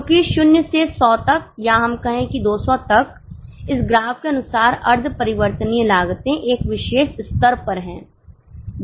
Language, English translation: Hindi, Because from 0 to 100 or let us say 200 as per this graph, semi variable costs are at a particular level